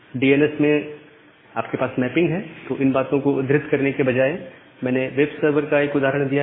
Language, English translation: Hindi, So, in that case of DNS, you have a mapping so, rather than naming these things the example that I have given as a web server